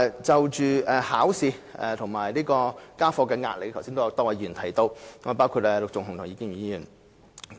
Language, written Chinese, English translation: Cantonese, 就考試及家課的壓力，剛才亦有多位議員提到，包括陸頌雄議員及葉建源議員。, Earlier on many Members also mentioned examination and schoolwork stress including Mr LUK Chung - hung and Mr IP Kin - yuen